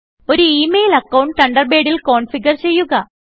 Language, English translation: Malayalam, Configure an email account in Thunderbird